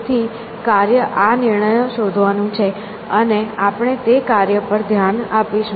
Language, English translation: Gujarati, So, the task is to find these decisions, and that is the task we will be addressing